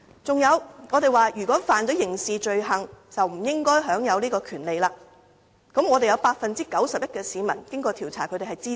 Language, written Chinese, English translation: Cantonese, 此外，我們提到如果該人干犯刑事罪行，便不應該享有這項權利，而調查結果顯示 ，91% 的市民對此也表示支持。, Moreover we propose that if a non - refoulement claimant commits a criminal offence he should not enjoy the right to a non - refoulement claim . According to the findings of a survey 91 % of the respondents support this proposal